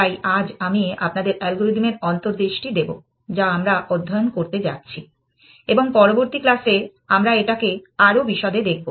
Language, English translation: Bengali, So, today I will just give you the intuition of the algorithm that we have going to study and in the next class, we will look at it in more detail